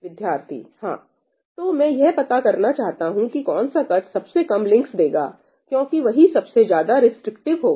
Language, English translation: Hindi, So, I want to find that cut which gives the minimum number of links, because that would be the most restrictive